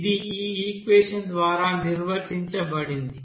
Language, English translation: Telugu, This is defined as by this equation here